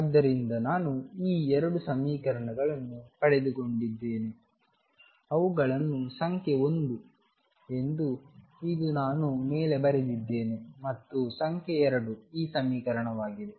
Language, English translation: Kannada, So, I have got these 2 equations let me remember them number 1 is this one, that I wrote on top and number 2 is this equation